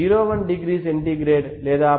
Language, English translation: Telugu, 01 degree centigrade or